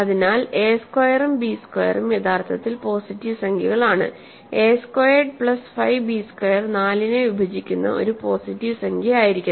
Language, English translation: Malayalam, So, a squared and b squared are actually positive integers; a squared plus 5 b squared must be a positive integer that divides 4